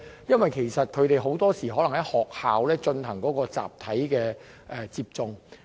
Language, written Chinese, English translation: Cantonese, 因為很多時，他們是在學校進行集體接種的。, It is because the students in these countries are usually vaccinated en masse in schools